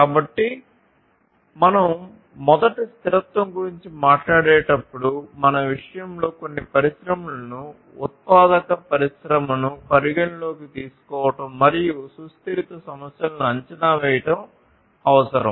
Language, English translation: Telugu, So, when we talk about sustainability first what is required is to consider some industry in our case, the manufacturing industry and assess the sustainability issues